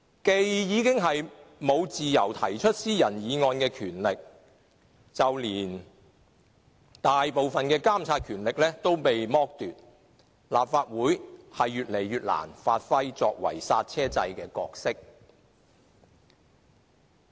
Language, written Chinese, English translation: Cantonese, 既沒有自由提出私人議案的權力，就連大部分的監察權力也遭剝奪，立法會已越來越難發揮作為剎車掣的角色。, Since it has lost the power to propose private Members bills deprived of most of its monitoring power it has become more and more difficult for the Legislative Council to serve its function as the brake system of a car